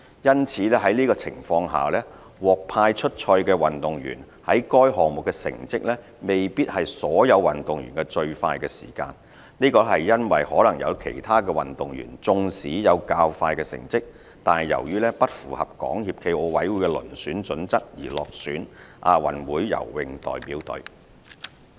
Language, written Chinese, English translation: Cantonese, 因此，在這情況下，獲派出賽的運動員在該項目的成績，未必是所有運動員的最快時間。這是因為可能有其他運動員縱使有較快成績，但由於不符合港協暨奧委會的遴選準則而落選亞運會游泳代表隊。, In such a scenario the athlete assigned to compete in a swimming event might not have the fastest result among all swimming athletes as some other athletes might have a faster result in the same swimming event but still failed to secure selection to be part of the Delegation because the result did not meet the selection criteria of SFOC